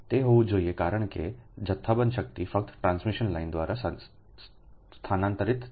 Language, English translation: Gujarati, it it has to be because bulk power will transfer through transmission line